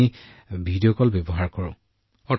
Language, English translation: Assamese, Yes, we use Video Call